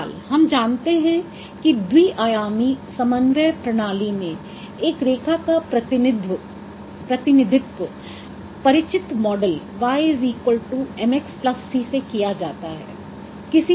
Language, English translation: Hindi, Anyhow, so we know how a line is represented in a two dimensional coordinate system and that is the familiar representation of y equals mx plus c, that is the model